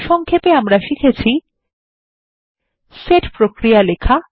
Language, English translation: Bengali, Let us now learn how to write Set operations